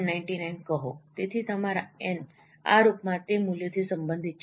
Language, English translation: Gujarati, 99, that should be, so your n is related to that value in this fashion